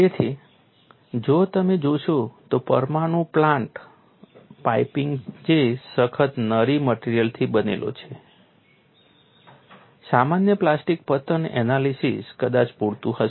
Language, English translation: Gujarati, So, if you look at the nuclear plant piping which is made of tough ductile materials, ordinary plastic collapse analysis will possibly suffice